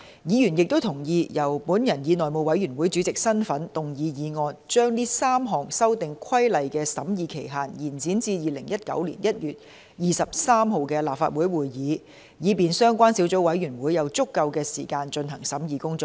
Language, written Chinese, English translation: Cantonese, 議員亦同意，由我以內務委員會主席的身份動議議案，將該3項修訂規例的審議期限延展至2019年1月23日的立法會會議，以便相關小組委員會有足夠時間進行審議工作。, Members also agreed that I would in the capacity of Chairman of the House Committee move a motion to extend the scrutiny period for the three Amendment Regulations to the Legislative Council meeting of 23 January 2019 so that the Subcommittee concerned shall have sufficient time to conduct its scrutiny work